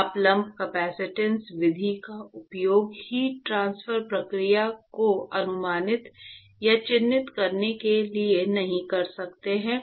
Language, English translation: Hindi, You cannot use the lumped capacitance method to approximate or to characterize the heat transport process